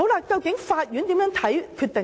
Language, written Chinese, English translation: Cantonese, 究竟法院如何看待這些決定呢？, How does the Court treat such decisions?